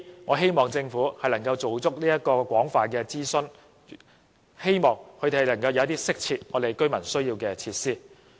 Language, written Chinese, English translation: Cantonese, 我希望政府能夠就相關計劃進行廣泛諮詢，以致能夠提供一些市民需要而又適切的設施。, I hope the Government will conduct extensive public consultation on the relevant proposals so that the facilities to be provided eventually can suitably meet the publics needs